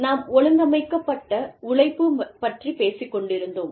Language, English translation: Tamil, We were talking about, Organized Labor